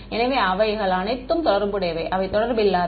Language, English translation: Tamil, So, they are all related, they are not unrelated ok